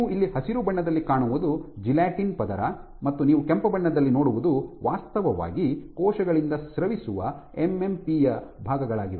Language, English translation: Kannada, What you see here in green is the layer of gelatin and what you see in red are actually parts of MMP’s which are secreted by cells